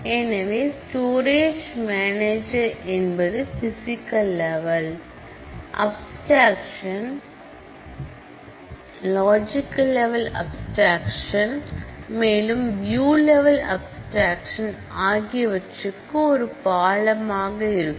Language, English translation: Tamil, So, we have looked at the storage manager is the one, which is a bridge between the physical level of abstraction and the logical level of abstraction, then finally, to the view level of abstraction